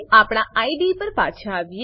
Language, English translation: Gujarati, Now let us come back to the IDE